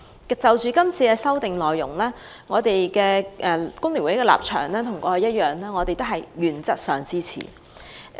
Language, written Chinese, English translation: Cantonese, 對於是次修訂，工聯會與以往一樣，都是原則上支持。, The Hong Kong Federation of Trade Unions FTU will support this amendment exercise in principle as we have done so in the past